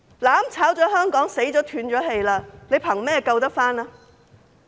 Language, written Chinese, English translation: Cantonese, "攬炒"了香港，死了、斷了氣，憑甚麼救回？, With what do we save Hong Kong if it is destroyed and dead?